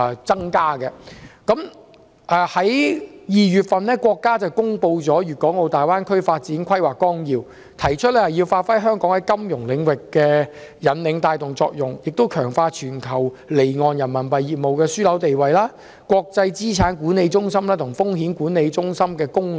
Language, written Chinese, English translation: Cantonese, 在2月份，國家公布《粵港澳大灣區發展規劃綱要》，提出香港要發揮在金融領域的引領帶動作用，並強化全球離岸人民幣業務樞紐的地位，以及國際資產管理中心和風險管理中心的功能。, The Outline Development Plan for the Guangdong - Hong Kong - Macao Greater Bay Area the Plan was published in February . It talks about leveraging Hong Kongs leading position in the financial services sector and strengthening Hong Kongs status as a global offshore Renminbi business hub and its role as an international asset management centre and risk management centre